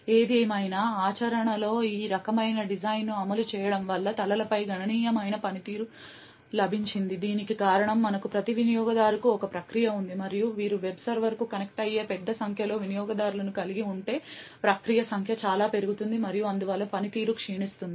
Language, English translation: Telugu, However, in practice implementing this type of design has got significant performance over heads, this is due to the fact that we have one process per user and if you have a large number of users connecting to the web server the number of process would increase many folds and therefore the performance will degrade